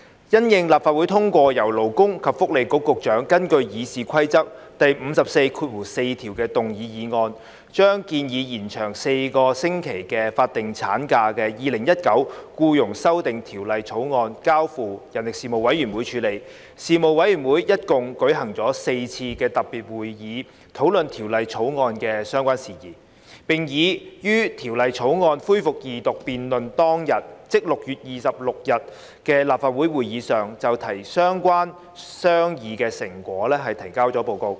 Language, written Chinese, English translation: Cantonese, 因應立法會通過由勞工及福利局局長根據《議事規則》第544條動議的議案，把建議延長4個星期法定產假的《2019年僱傭修例草案》交付事務委員會處理，事務委員會一共舉行了4次特別會議討論《條例草案》的相關事宜，並已於《條例草案》恢復二讀辯論當日，即6月26日的立法會會議上就相關商議成果提交了報告。, Following the passage of the Secretary for Labour and Welfares motion moved under Rule 544 of the Rules of Procedure that the Employment Amendment Bill 2019 the Bill which proposed to extend the statutory maternity leave by four weeks be referred to the Panel the Panel held a total of four special meetings to discuss issues relating to the Bill and tabled a report on the relevant outcome of deliberations on the day when the Bill resumed its Second Reading debate ie . at the Council meeting of 26 June 2020